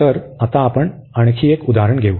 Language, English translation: Marathi, So, we will take another example now